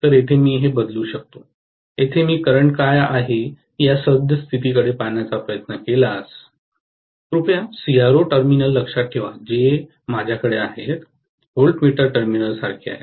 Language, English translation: Marathi, So, I can substitute this here, if I try to look at what is the current that is flowing here, please remember CRO terminals what I have is like voltmeter terminals